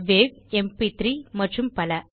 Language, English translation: Tamil, wav, mp3 and others